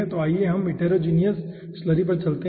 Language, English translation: Hindi, okay, then let us go to heterogeneous slurry